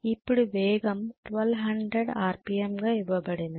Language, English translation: Telugu, Now the speed is given as 1200 RPM